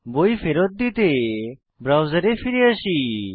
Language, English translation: Bengali, Now, come back to the browser